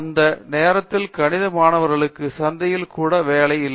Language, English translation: Tamil, So, at that time there was no job even in the market for the mathematics students